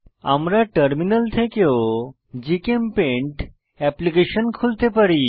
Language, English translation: Bengali, We can also open GChemPaint application from Terminal